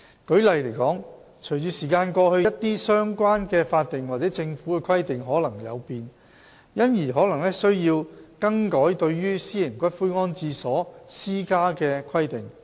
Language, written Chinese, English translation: Cantonese, 舉例而言，隨着時間過去，一些相關的法定或政府規定可能有變，因而可能需要更改對於私營骨灰安置所施加的規定。, For instance as time went by there might be changes in some related statutory or government requirements which may entail the need to make amendments to the requirements imposed on private columbaria